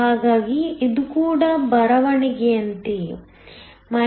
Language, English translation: Kannada, So, this is also the same as writing; eDhd∆Pndx